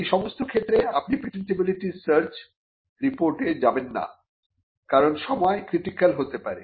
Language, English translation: Bengali, In all these cases you would not go in for a patentability search report, because timing could be critical